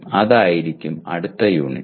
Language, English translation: Malayalam, That will be the next unit